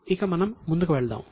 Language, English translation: Telugu, Right now let us go ahead